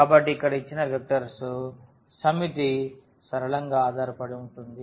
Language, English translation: Telugu, So, this given set of vectors here is linearly dependent